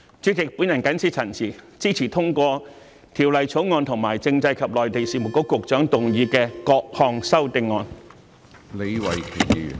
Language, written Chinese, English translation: Cantonese, 主席，我謹此陳辭，支持通過《條例草案》和政制及內地事務局局長動議的各項修正案。, With these remarks Chairman I support the Bill and the amendments to be moved by the Secretary for Constitutional and Mainland Affairs